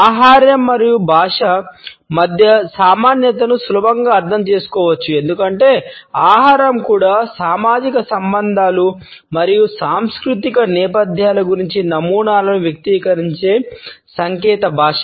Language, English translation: Telugu, The commonality between food and language can be understood easily because food is also a code which expresses patterns about social relationships and cultural backgrounds